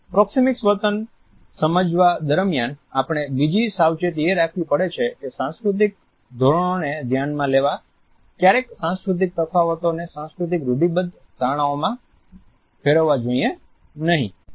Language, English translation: Gujarati, Another precaution which we have to take during our understanding of the proxemic behavior is that these cultural differences should never be turned into cultural stereotypes to look down upon any cultural norm